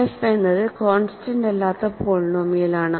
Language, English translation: Malayalam, So, f is non constant polynomial